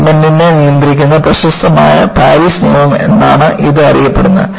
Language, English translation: Malayalam, And, this is known as a famous Paris law, which controls the segment